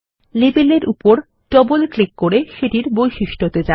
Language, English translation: Bengali, Double clicking on the label, brings up its properties